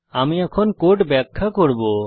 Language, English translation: Bengali, I will explain the code now